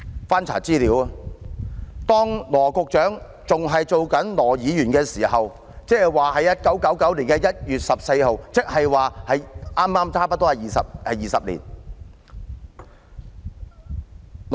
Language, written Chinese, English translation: Cantonese, 翻查資料，羅局長當年仍身為羅議員，即在1999年的1月14日，距今差不多20年。, When I checked the information I found that Secretary Dr LAW Chi - kwong was a Member at that time that is 14 January 1999 which was almost 20 years ago